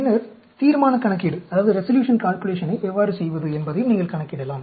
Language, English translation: Tamil, And then, you can also calculate how to do a resolution calculation